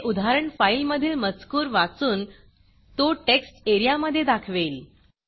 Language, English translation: Marathi, This example reads the file contents and displays them in the TextArea